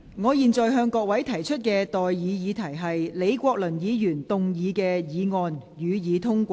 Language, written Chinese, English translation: Cantonese, 我現在向各位提出的待議議題是：李國麟議員動議的議案，予以通過。, I now propose the question to you and that is That the motion moved by Prof Joseph LEE be passed